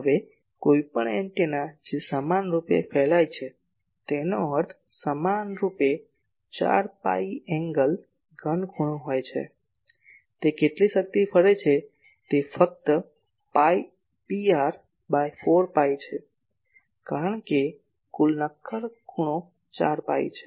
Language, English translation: Gujarati, Now , any antenna which equally radiates means equally in 4 phi angle solid angle how much power it radiates , that is simply P r by 4 phi because total solid angle is 4 phi